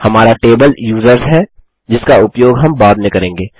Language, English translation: Hindi, Our table is users, which we can use later on